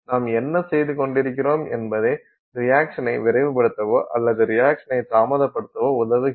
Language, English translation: Tamil, What are we doing that helps speed up a reaction or what are we doing that helps slow down a reaction